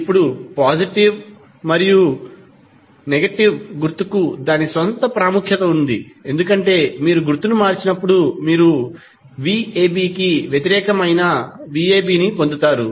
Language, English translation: Telugu, Now, positive and negative sign has its own importance because when you change the sign you will simply get opposite of v ab